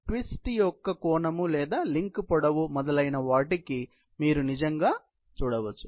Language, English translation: Telugu, You can actually see what is the angle of twist or even the link length etc